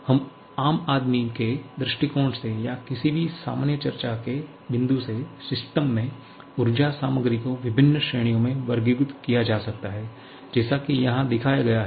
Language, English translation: Hindi, Now, for a layman point of view or any general discussion point of view, the energy content in a system can be classified into different categories just like shown here